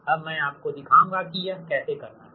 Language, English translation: Hindi, now i will show you how to do it, right